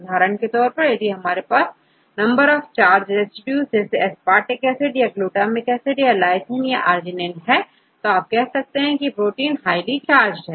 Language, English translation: Hindi, For example, if you have more number of charged residues like aspartic acid or glutamic acid or lysine or arginine, you can say the protein is highly charged right, whether it is acidic or it is basic